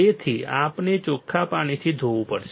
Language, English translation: Gujarati, So, we have to rinse with water